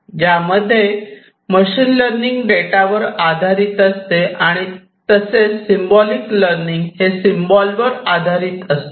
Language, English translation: Marathi, So whereas, machine learning is based on data; symbolic learning is symbol based, symbolic learning is symbol based